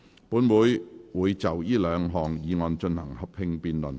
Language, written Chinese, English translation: Cantonese, 本會會就這兩項議案進行合併辯論。, This Council will proceed to a joint debate on the two motions